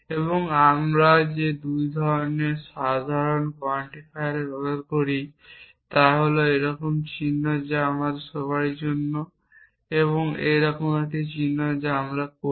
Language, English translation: Bengali, And the 2 most common quantifiers that we use are symbol like this which we read as for all and a symbol like this which we read as there exists